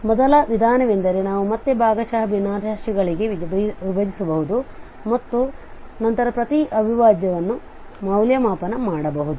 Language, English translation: Kannada, So what we can do, the first approach could be that we can break again into the partial fractions and then the each integral can be evaluated